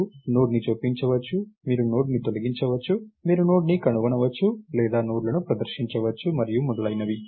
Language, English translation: Telugu, You may insert a node, you may delete a node, you can find a node, or display the nodes and so, on